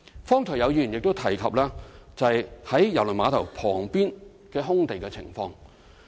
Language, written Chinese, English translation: Cantonese, 剛才亦有議員提及在啟德郵輪碼頭旁邊空地的情況。, Just now some Members also mentioned the vacant site adjacent to the Kai Tak Cruise Terminal